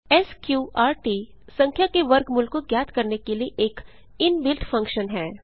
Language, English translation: Hindi, sqrt is an inbuilt function to find square root of a number